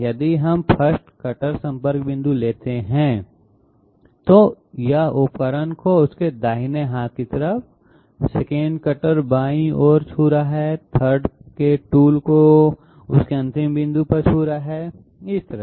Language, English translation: Hindi, If we take this cutter contact point, it is touching the tool on the on its right hand side, it is touching the tool on the left hand side, it is touching the tool at its end point something like that